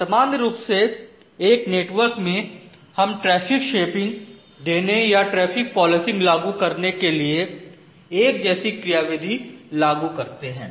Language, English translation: Hindi, So, in general in a network whatever mechanism we are apply for ensuring traffic shaping or traffic policing we actually apply similar kind of mechanism